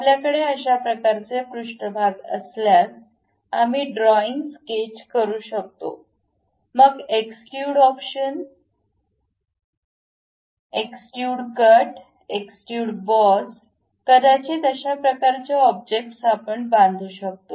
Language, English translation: Marathi, If we have that kind of surfaces, we will be in a position to draw a sketch; then use extrude options, extrude cut, extrude boss, perhaps fillet this kind of objects we can really construct it